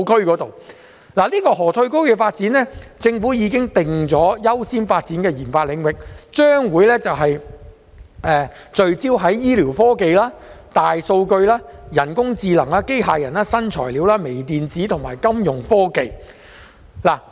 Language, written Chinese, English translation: Cantonese, 就着這個河套區的發展，政府已經把它訂為優先發展的研發領域，將會聚焦在醫療科技、大數據、人工智能、機械人、新材料、微電子及金融科技。, Regarding the development of the Lok Ma Chau Loop the Government has already accorded it the priority for research and development RD work . The focus will be put on medical technology big data artificial intelligence AI robotics innovative materials micro - electronic and Fintech